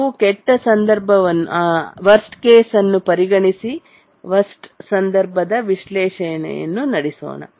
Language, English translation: Kannada, We look at the worst case and do a worst case analysis